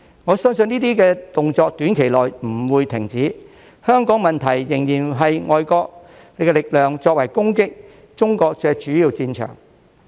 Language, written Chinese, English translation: Cantonese, 我相信這些動作短期內不會停止，香港問題仍是外國力量用作攻擊中國的主要戰場。, I believe that these actions will not stop in the near future as the Hong Kong issues are still the main battleground for foreign forces to attack China